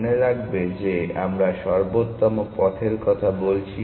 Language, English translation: Bengali, Remember that we are talking of optimal path